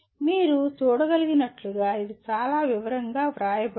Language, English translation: Telugu, As you can see it is very, it is written in a great detail